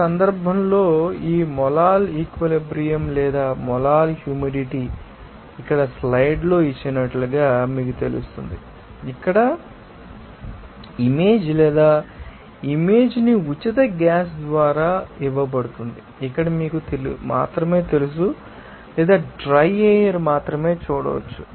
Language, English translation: Telugu, In this case, this molal saturation or molal humidity can be you know defined as given here in the slides that equation here that image or image will be given by ni free gas in free gas simply we can see that only you know or dry air here